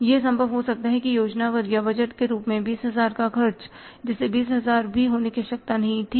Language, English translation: Hindi, It may be possible that 20,000 expenses as planned or budgeted, they were not required to be even 20,000